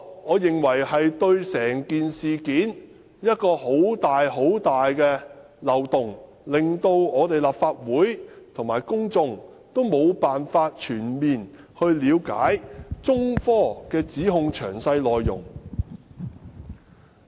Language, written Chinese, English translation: Cantonese, 我認為這是一個很大的漏洞，令立法會和公眾無法全面了解中科指控的詳細內容。, I think this is a very big loophole and will prevent the Legislative Council and the public from fully understanding the details of the allegations made by China Technology